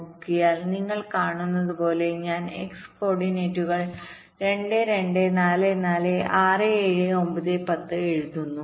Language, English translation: Malayalam, so i just writing down the x coordinates: two, two, four, four, six, seven, nine, ten